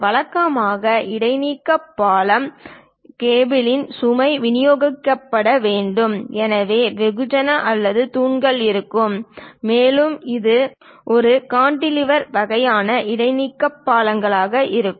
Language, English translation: Tamil, Usually, the suspension bridge, the cables load has to be distributed; so there will be mass or pillars, and there will be more like a cantilever kind of suspension bridges will be there